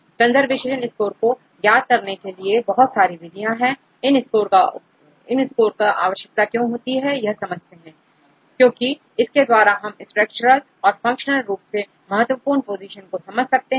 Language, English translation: Hindi, Then there are several methods which can calculate the conservation score right because why we are concerned about conservation score this will give you the structural important positions this will give you the functional important positions and these positions